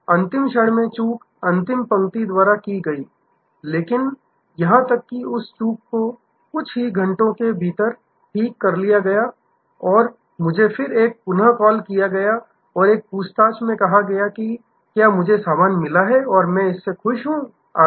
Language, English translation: Hindi, The lapse was at the last moment at the last mile, but even that lapse was corrected within a few hours and then, there was a call back and said an inquiring whether I received the stuff and happy with it etc